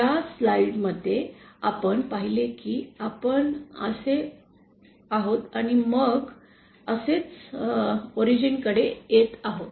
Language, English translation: Marathi, In this slide we saw that we are going like this and then coming like this to the origin